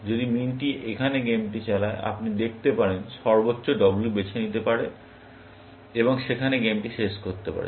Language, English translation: Bengali, If min drives the game here, you can see, max can choose W, and end the game there